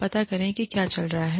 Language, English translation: Hindi, Find out, what is going on